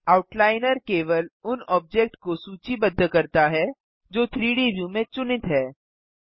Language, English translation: Hindi, The Outliner lists only that object which is selected in the 3D view